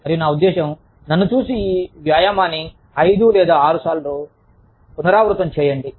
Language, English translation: Telugu, I mean, just look at me, and repeat this exercise, maybe, five or six times